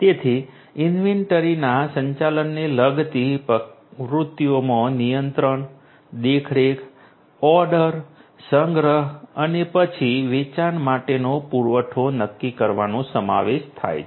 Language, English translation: Gujarati, So, activities that would entail the management of inventory would include you know controlling the controlling, overseeing, ordering, storage, then determining the supply for sale